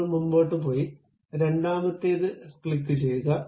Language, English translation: Malayalam, I just go ahead, click the second one, done